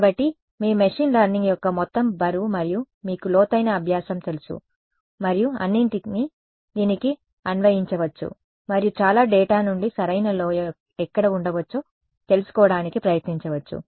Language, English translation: Telugu, So, all your weight of machine learning and you know deep learning and all of that can be applied to this to try to learn where might be the correct valley from a lot of data to tell you where to land up in ok